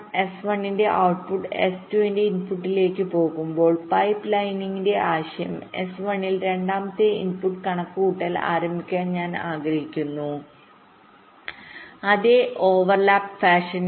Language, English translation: Malayalam, now, when, when this s one output of s one goes to input of s two, the idea of pipelining is: i want to start the second input computation in s one in the same over lap fashion